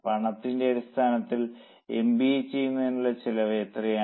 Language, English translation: Malayalam, What is the cost of doing MBA